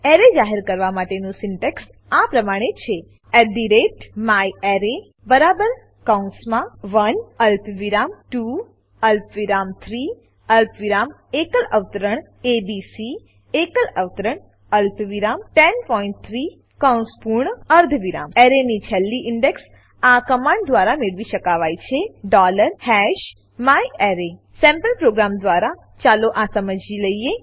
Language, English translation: Gujarati, The syntax for declaring an array is @myArray equal to open bracket 1 comma 2 comma 3 comma single quote abc single quote comma 10.3 close bracket semicolon The last index of an array can be found with this command $#myArray Let us understand this using sample program